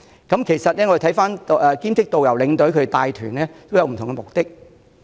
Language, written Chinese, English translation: Cantonese, 兼職領隊及導遊帶團，各有不同目的。, There are different reasons for people to work as part - time tour escort or tourist guide